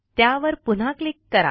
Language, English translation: Marathi, Click on the star again